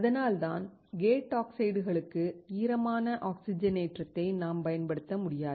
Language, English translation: Tamil, That is why we cannot use the wet oxidation for the gate oxide